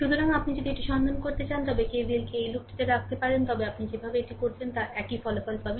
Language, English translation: Bengali, So, similarly, if you want to find out, we can put K V L in the in this loop also, the way you want you can do it, you will get the same result